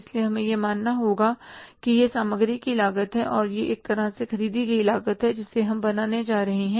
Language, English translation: Hindi, So, we have to assume that this is a cost of material and this is a cost of in a way purchases which we are going to make